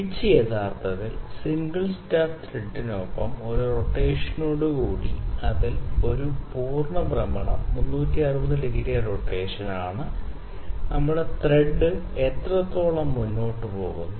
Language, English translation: Malayalam, Pitch is actually with one rotation with the single start thread with one rotation, one complete rotation that is 360 degree rotation, how much forward does our thread go